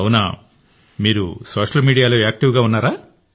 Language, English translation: Telugu, So are you active on Social Media